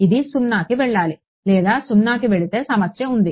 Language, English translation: Telugu, It should go to 0 or well if it goes to 0 there is a problem